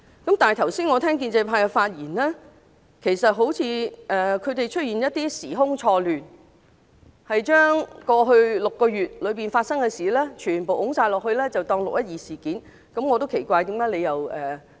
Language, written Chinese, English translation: Cantonese, 我剛才聽到建制派議員的發言，他們好像時空錯亂般，將過去6個多月發生的事情全部算入"六一二"事件的範圍。, After hearing the speeches of the pro - establishment Members I found that they seemed to get the time and space wrong as they accounted all incidents that happened over the past more than six months to the 12 June incident